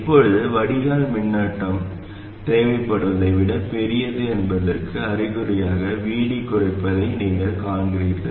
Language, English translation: Tamil, Now you see that VD reducing is an indication that the drain current is larger than what is required and in that case we must actually increase VS